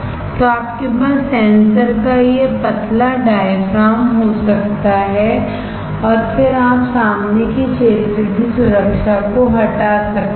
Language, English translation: Hindi, So, you can have this thin diaphragm of the sensor and then you can remove the front area protection thing